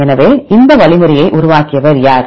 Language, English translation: Tamil, So, who develop this algorithm